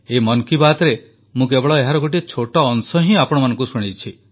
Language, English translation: Odia, In this 'Mann Ki Baat', I have presented for you only a tiny excerpt